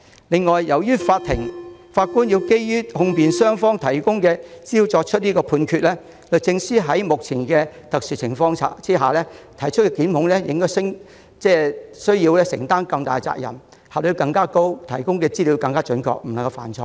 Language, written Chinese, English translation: Cantonese, 此外，由於法官要基於控辯雙方提供的資料作出判決，律政司在目前的特殊情況下提出檢控時，要承擔更大責任，發揮更高效率，提供的資料必須準確，不能犯錯。, In addition since the judge has to make a judgment based on the information provided by the prosecution and the defence the Department of Justice has to assume greater responsibility and be more efficient in prosecution under the current special circumstances . The information provided must be accurate and mistakes cannot be made